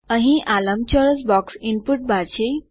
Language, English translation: Gujarati, This rectangular box here is the input bar